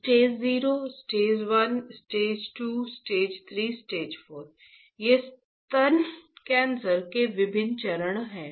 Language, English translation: Hindi, Stage 0 stage 1 stage 2 stage 3 stage 4, these are different stages in breast cancer, right